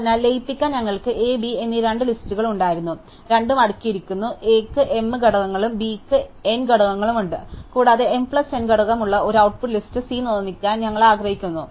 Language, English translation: Malayalam, So, we had two list A and B to be merged, both are sorted and A has m elements and B has n elements and we want to produce an output list C, which has m plus n element